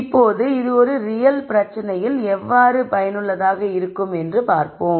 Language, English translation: Tamil, Now, let us see how this is useful in a real problem